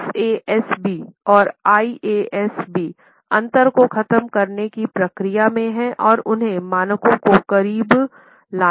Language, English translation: Hindi, FASB and IASB are in the process of eliminating the differences and bring those standards nearer